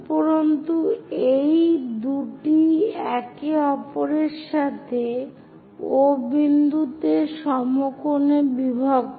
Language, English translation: Bengali, And these two bisect with each other at right angles at O